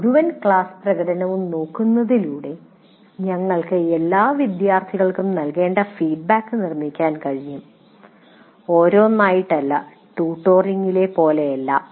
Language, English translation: Malayalam, And here once again by looking at entire class performance, you can work out the feedback to be given to the students for all the students, not one by one, not like in tutoring, but you can give feedback to the students